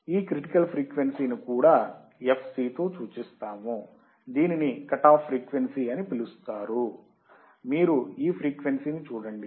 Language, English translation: Telugu, Term critical frequency also denoted by fc also called cut off frequency because this frequency, you see this one is the cut off frequency